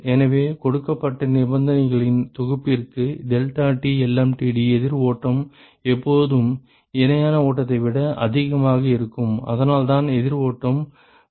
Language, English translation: Tamil, So, for a given set of conditions deltaT lmtd of counter flow is always greater than that of the parallel flow and, that is the reason why counter flow is preferred